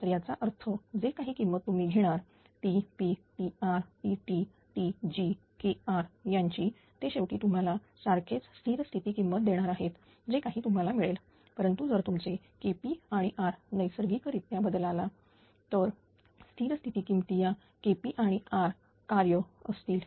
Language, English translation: Marathi, It so; that means, whatever whatever value you take Tp Kr Tr Tt Tg ultimately it will give you the same statistic value whatever you got, but if you are K p and are changes naturally the steady state value our function of K p and R